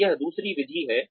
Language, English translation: Hindi, So, that is the other method here